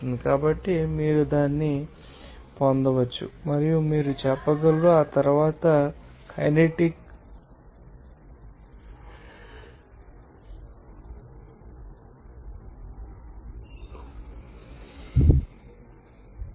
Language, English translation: Telugu, So, you can get it and you can say, after that you can calculate what should be the you know the kinetic energy